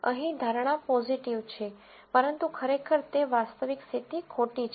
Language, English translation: Gujarati, Here the prediction is positive, but the actual, actual condition it is false